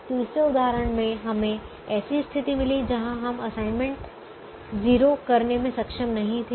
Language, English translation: Hindi, the third example: we got into a situation where we were not able to make assignments